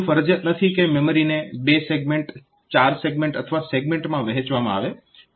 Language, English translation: Gujarati, So, it is not mandatory that your memory should be divided into two segment or four segment or eight segment like that